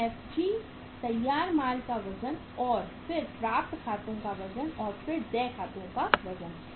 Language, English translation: Hindi, Then weight of the FG finished goods and then the weight of accounts receivable and then the weight of accounts payable